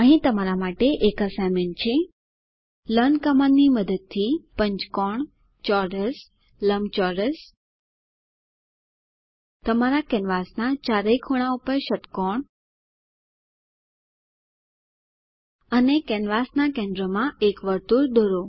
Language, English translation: Gujarati, As an assignment for you to solve, Using learn command, draw a pentagon square rectangle hexagon on all four corners of your canvas and A circle at the centre of the canvas